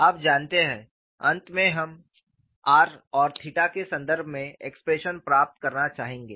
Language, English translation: Hindi, So, that is the reason why we are writing it in terms of r n theta